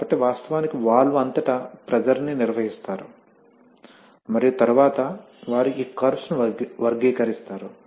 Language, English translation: Telugu, So, they actually maintain the pressure across the valve and then they characterize this curves, right